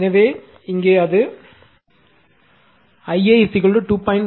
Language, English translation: Tamil, So, this I a value 2